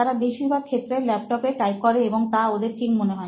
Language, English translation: Bengali, They mostly type in the laptops and things are good for them